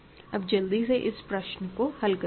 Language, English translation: Hindi, So, let me quickly solve this problem